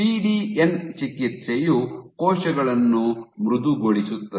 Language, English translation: Kannada, What was observed was PDN treatment made cells softer